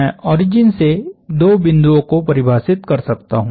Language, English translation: Hindi, From the origin I can define two points